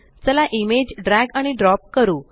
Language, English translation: Marathi, Let us drag and drop an image